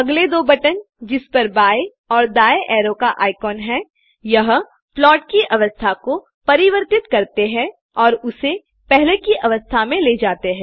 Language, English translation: Hindi, The next two buttons with left and right arrow icons change the state of the plot and take it to the previous state it was in